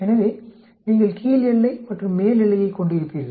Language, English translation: Tamil, so you will a lower boundary and upper boundary